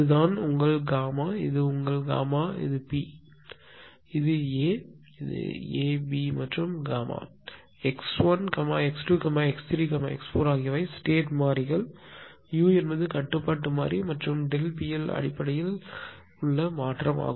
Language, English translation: Tamil, This is actually this one this one actually your gamma right this is actually is your gamma this is gamma and this is B; this is A; A B and gamma right an x 1, x 2, x 3, x 4 are the state variables u is the control variable and delta P L basically is a disturbance in the system right